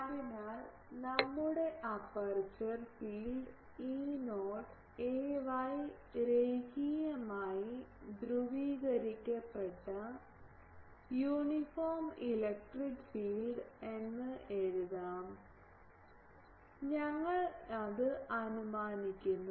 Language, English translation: Malayalam, So, we can write our aperture field is E not ay linearly polarised uniform electric field, we are assuming it